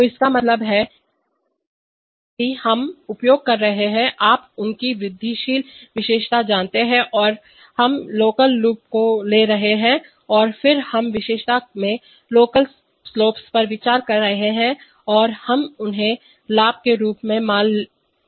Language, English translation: Hindi, So which means that we are using, you know their incremental characteristic that is we are taking locals loops and then we are considering local slopes in the characteristic and we are considering them as the gains